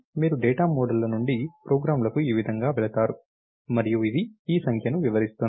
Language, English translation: Telugu, So, this is how the data models, this is how you go from data models to programs, and this is what is this figure is illustrating